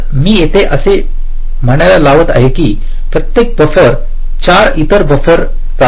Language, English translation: Marathi, for example, every buffer can drive four buffers